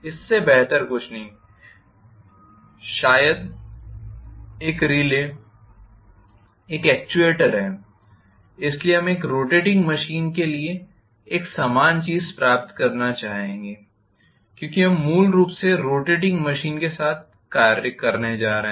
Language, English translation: Hindi, Nothing better than that maybe a relay maybe an actuator, so we would like to derive a similar thing for a rotating machine because we are going to deal with rotating machines basically